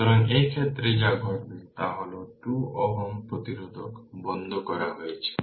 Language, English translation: Bengali, So, in this case what will happen that 2 ohm resistance is taken off